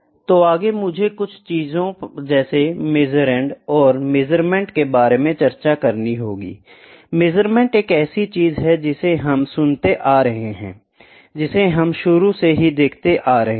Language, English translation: Hindi, So, next I will have to discuss a few terms measurand and measurement; measurement is the one thing which we have been listening, which we have been going through from the very beginning